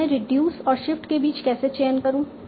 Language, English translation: Hindi, Now how do I choose between reduce and shift